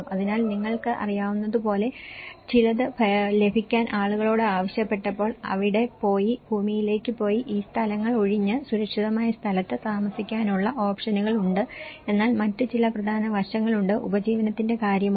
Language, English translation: Malayalam, So, when people have been asked to get some you know, options of going there going into the land and vacate these places and stay in a safer lands but there are some other important aspects, what about the livelihoods